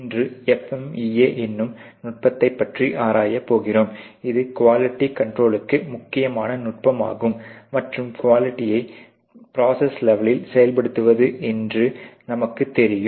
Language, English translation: Tamil, Today, we are going to investigate this whole technique FMEA, which is very important technique for quality control and you know quality implementation particularly at the processes level